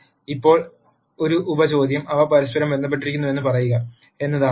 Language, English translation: Malayalam, Now a sub question is to say are they related to each other